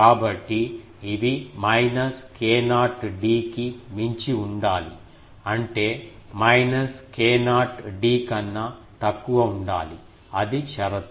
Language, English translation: Telugu, So, these should be beyond minus k not d; that means, less than minus k not d, that is the condition